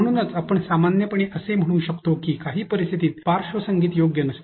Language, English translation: Marathi, Therefore, we can generally say that background music may not be suitable in some situations